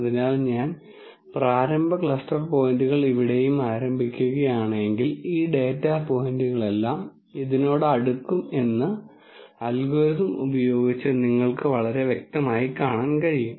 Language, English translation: Malayalam, So, if my if I start my cluster points initial cluster points here and here you can very clearly see by the algorithm all these data points will be closer to this